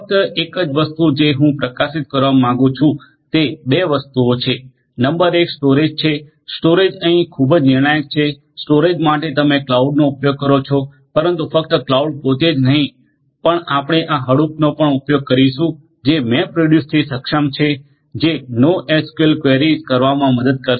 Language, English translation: Gujarati, The only thing that I would like to highlight are 2 things, number 1 is to storage, storage is very crucial over here for storage you are going to use the cloud, but not just the cloud itself, but we are going to use this Hadoop and enabled with MapReduce etcetera which are also going to help in performing NoSQL queries and so on